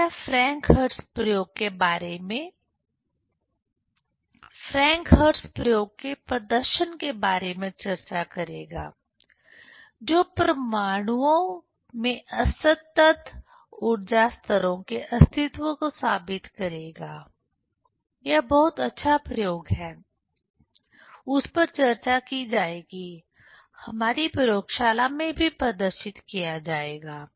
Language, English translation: Hindi, So, this will discuss about the demonstration of Franck Hertz experiment to prove the existence of discrete energy levels in atoms; this is very nice experiment; that will be discussed, will be demonstrated in our laboratory